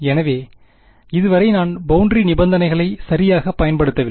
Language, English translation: Tamil, So, far is boundary conditions I have not yet use the boundary conditions right